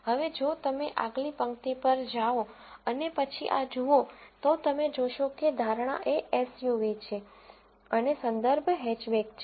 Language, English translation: Gujarati, Now, if you go to the next row and then look at this, you would see that the prediction is a SUV and the reference is Hatchback